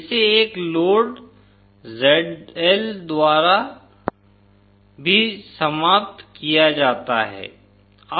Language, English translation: Hindi, It is also terminated by a load ZL